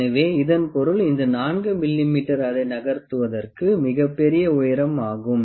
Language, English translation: Tamil, So, that means, this 4 mm is quite a large height to quite a large to make it move